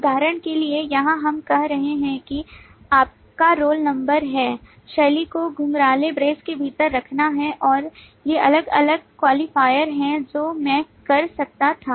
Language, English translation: Hindi, For example, here we are saying that your roll number is the style is to put it within curly brace, and these are the different qualifiers that I could have